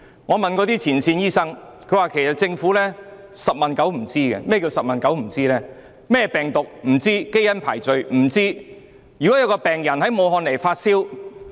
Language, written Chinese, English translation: Cantonese, 我曾向前線醫生查詢，他們說政府"十問九不知"，病毒種類、基因排序一概不知。, Yet all the Government has done is publishing the requirement in the Gazette . I have consulted frontline doctors . They said the Government is ignorant of everything including the type of virus and the genetic sequence